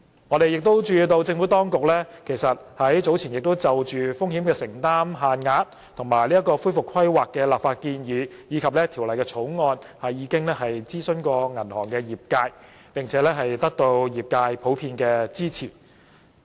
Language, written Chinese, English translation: Cantonese, 我們注意到政府當局已於早前就風險承擔限額及恢復規劃的立法建議，還有《條例草案》諮詢銀行業界，並且得到業界普遍支持。, We noticed that the Administration has consulted the banking sector earlier in respect of the legislative proposal on exposure limits and recovery planning and the Bill and the industry is generally in support of the Bill